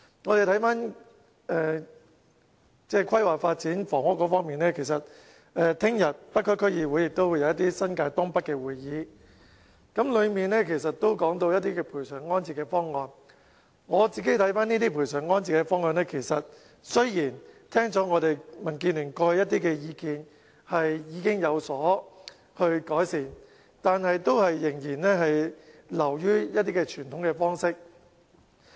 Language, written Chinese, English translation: Cantonese, 我個人對這些賠償安置方案的看法是，政府雖然在聽取民建聯過去一些意見後，已經對方案有所改善。但是，這項發展仍然流於一些傳統方式。, My personal view on these proposals is though the Government has already made improvements on the proposals after considering the previous recommendations by the Democratic Alliance for the Betterment and Progress of Hong Kong DAB the development project still largely sticks to some conventional practices